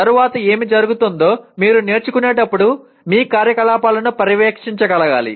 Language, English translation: Telugu, Then what happens next is you should be able to monitor your activities during learning